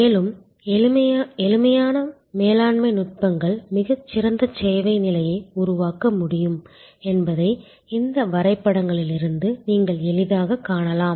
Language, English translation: Tamil, And you can easily see from these diagrams, that simple management techniques can create a much better service level